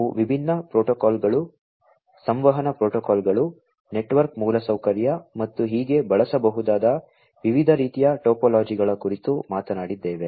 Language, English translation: Kannada, We talked about the different protocols, the communication protocols, the network infrastructure, and so on the different types of topologies that could be used, and so on